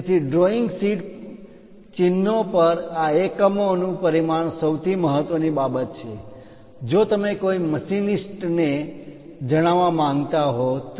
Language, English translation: Gujarati, So, on drawing sheet symbols dimensioning these units are the most important thing, if you want to convey a picture to machinist